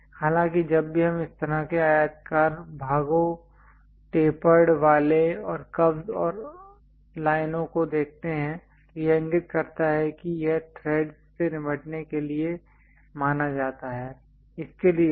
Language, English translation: Hindi, But whenever we see this kind of rectangular portions, a tapered ones and a kind of slight ah curve and lines it indicates that its supposed to deal with threads